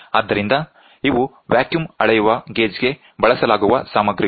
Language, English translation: Kannada, So, these are the materials which are used for the vacuum measuring gauge